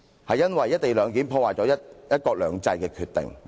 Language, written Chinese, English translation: Cantonese, 是因為"一地兩檢"破壞了"一國兩制"的決定......, This is because the co - location arrangement is damaging the one country two systems decision